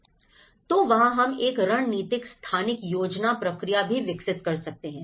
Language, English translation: Hindi, So, this is where we also develop a strategic spatial planning process